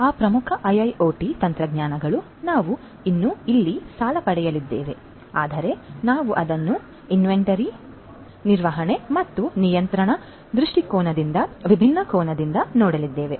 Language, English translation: Kannada, Those core IIoT technologies we are still going to borrow over here as well, but we are going to reposition it relook at it from the different angle from an inventory management and control viewpoint